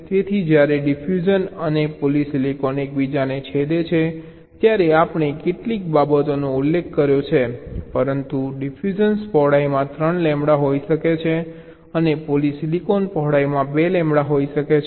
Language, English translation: Gujarati, so when a diffusion and polysilicon is intersecting, we have mentioned a few things, but a diffusion can be three lambda y in width and a polysilicon can be two lambda in width